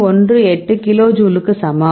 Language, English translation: Tamil, 18 kilo jule right